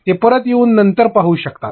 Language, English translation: Marathi, They can come back and see it later